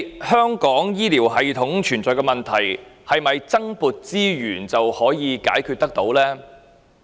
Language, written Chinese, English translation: Cantonese, 香港醫療系統存在的問題，究竟是否透過增撥資源便可以解決呢？, Can the problems with Hong Kongs healthcare system be resolved through the allocation of additional resources?